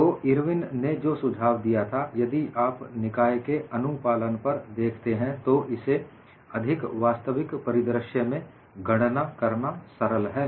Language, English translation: Hindi, So, what Irwin suggested was if you look at the compliance of the system, it is lot more easier to calculate in a realistic scenario